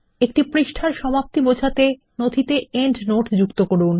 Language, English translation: Bengali, Add a endnote stating where the page ends